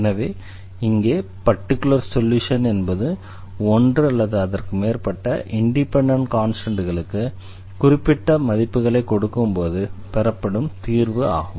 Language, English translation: Tamil, So, here the particular solution means the solution giving particular values to one or more of the independent constants